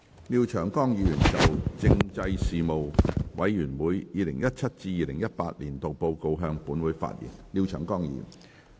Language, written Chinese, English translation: Cantonese, 廖長江議員就"政制事務委員會 2017-2018 年度報告"向本會發言。, Mr Martin LIAO will address the Council on the Report of the Panel on Constitutional Affairs 2017 - 2018